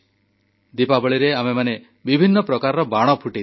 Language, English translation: Odia, In Diwali we burst fire crackers of all kinds